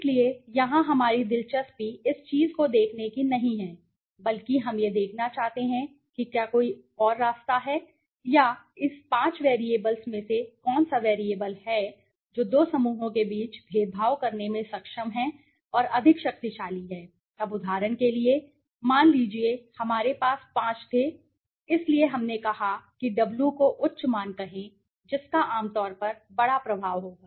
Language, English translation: Hindi, So, here our interest is to not to look in to this things but rather we want to see is there any way or is there you know out of this five variables which variable or which variables are the one s which are able to discriminate between two groups more powerfully, now for example, suppose ,we had five we said right so higher the let us say w higher the w value generally that will have the larger impact okay